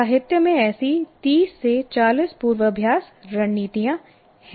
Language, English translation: Hindi, People have given 30, 40 such rehearsal strategies in the literature